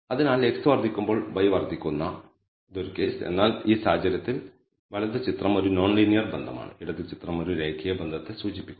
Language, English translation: Malayalam, So, here is a case when x increases y increases this also is a case when x increases y increases monotonically, but in this case the right hand figure is a non linear relationship the left hand figure is indicates a linear relationship